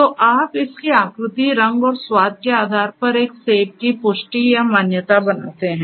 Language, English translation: Hindi, So, you make this confirmation or recognition of an apple based on its shape, color, and the taste